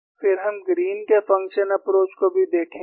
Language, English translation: Hindi, Then we would also see Green's function approach